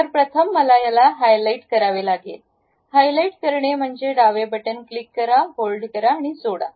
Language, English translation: Marathi, So, first of all I have to highlight; highlight means click the left button, go over that hold and leave it